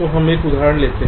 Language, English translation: Hindi, so lets take an example